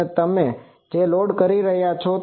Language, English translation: Gujarati, And you are loading like this